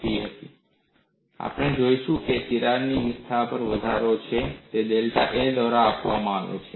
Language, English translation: Gujarati, And what we would look at is the crack has an incremental increase in area; that is given by delta A